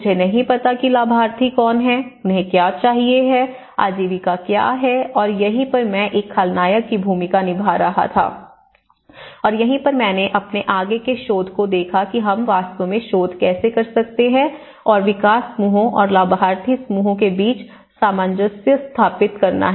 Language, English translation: Hindi, I am not knowing who are the beneficiaries, what do they need, what was the livelihood and this is where I was playing a villain role and that is where I looked at my further research of how we can actually take the research, what are the gaps, how to reconcile in between the gaps between the development groups and the beneficiary groups